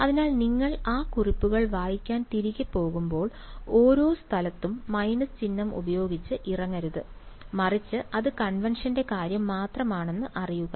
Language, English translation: Malayalam, So, when you go back to reading those notes, you should not get off by minus sign each place ok, but just know that it just a matter of convention